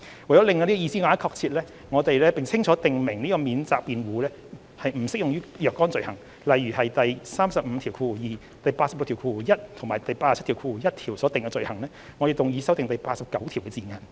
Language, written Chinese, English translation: Cantonese, 為令這個意思更為確切，並清楚訂明此免責辯護不適用於若干罪行，例如第352、861及871條等所訂的罪行，我們動議修正第89條的字眼。, To make the meaning more accurate and clearly set out that the defence does not apply to certain offences such as the offences under clauses 352 861 and 871 we move to amend the wording of clause 89